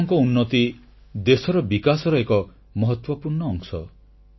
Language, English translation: Odia, Your progress is a vital part of the country's progress